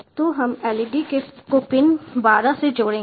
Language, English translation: Hindi, so will connect the led to pin twelve